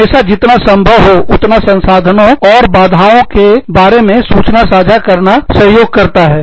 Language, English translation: Hindi, It always helps to share, as much information, about your resources, and your limitations, as possible